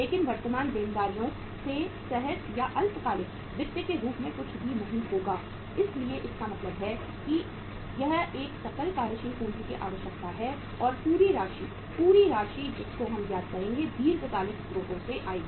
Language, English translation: Hindi, But nothing will be coming from the current liabilities as spontaneous or short term finance so it means this is a gross working capital requirement and entire amount, entire amount which we will work out now will come from the long term sources